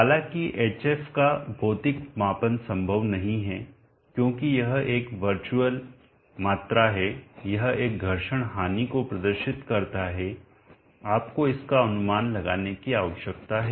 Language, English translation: Hindi, However, hf is not physically measurable, because this is a virtu7al quantity it represents a friction loss you need to estimate it